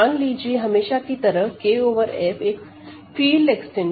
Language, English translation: Hindi, Let K over F be a field extension